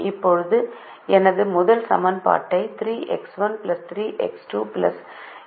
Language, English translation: Tamil, now my first equation is three x one plus three x two plus x, three plus zero x four is equal to twenty one